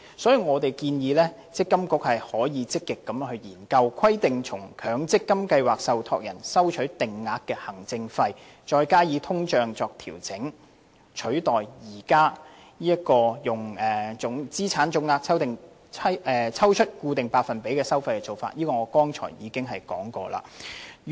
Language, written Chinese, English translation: Cantonese, 因此，我們建議積金局可以積極研究規定向強積金計劃受託人收取定額行政費，再加上通脹作調整，取代現時從資產總值抽取固定百分比作為收費的做法，而我剛才亦已談及這一點。, Hence we propose that MPFA should proactively examine the practice of requiring MPF scheme trustees to collect fixed administration fees in addition to the inflationary adjustment with a view to replacing the current practice of collecting such fees at fixed percentages of the total asset values of MPF accounts